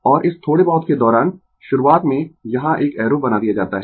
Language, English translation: Hindi, And throughout this little bit initially I have made an arrow here